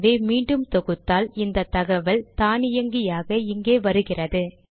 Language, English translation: Tamil, So if I re compile it, now this information comes automatically here